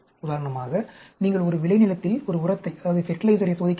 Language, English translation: Tamil, For example, you are testing a fertilizer in a field, there are different types of field